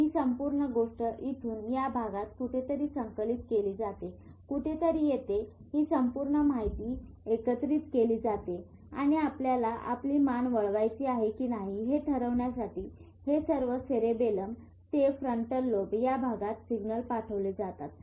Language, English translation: Marathi, From here somewhere here the whole thing is integrated and signals are sent to areas like cerebellum to frontal lobe to decide on whether you want to turn your head